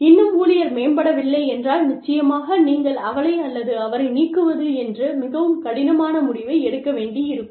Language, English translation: Tamil, And, if still the employee does not improve, then of course, you may have to take, the very difficult decision of, firing her or him